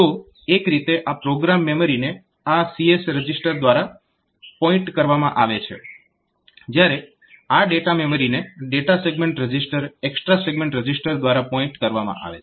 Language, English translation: Gujarati, So, in the sense that this program memory will be pointed two by this CS register, the codes segment register; whereas, this data memory will be pointed two by this data segment register that extra segment register like that